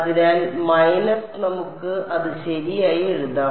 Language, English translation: Malayalam, So, minus let us write it properly all right